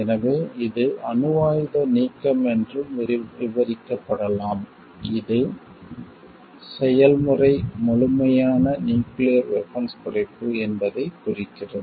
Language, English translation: Tamil, So, it can also be described as denuclearization, which denotes that the process is of complete nuclear disarmament